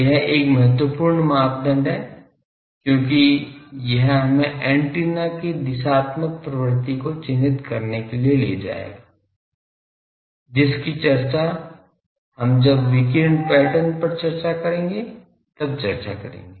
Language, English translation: Hindi, That is an important criteria, because it will lead us to characterize the directional nature of the antenna, which we will discuss when we discuss the radiation pattern etc